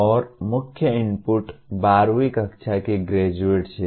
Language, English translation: Hindi, And the main input is graduates of 12th standard